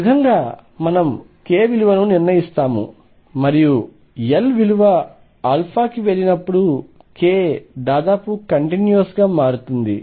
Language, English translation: Telugu, This is how we fix the value of k and when L goes to infinity k changes almost continuously